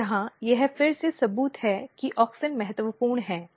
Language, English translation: Hindi, So, this also proves that auxin is important for it